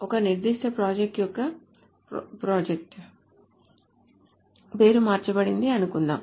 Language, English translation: Telugu, So what happens is suppose the project name of a particular project is changed